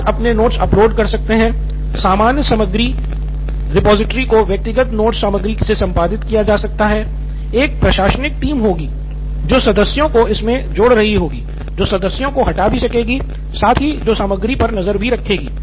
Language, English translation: Hindi, Students can keep uploading their notes, the common repository can be edited from individual note content, there will be an administrative team who will be adding members, who can take out members, who can keep a track on the content